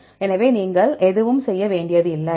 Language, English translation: Tamil, So, you do not have to do anything